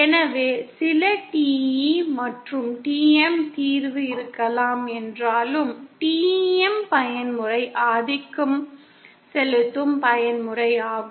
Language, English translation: Tamil, Hence even though there might be some TE and TM solution, TEM mode is the dominant mode